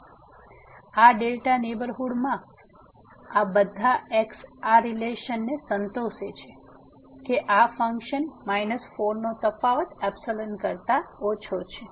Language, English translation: Gujarati, So, all these in this delta neighborhood satisfies this relation that the difference of this function minus 4 is less than the epsilon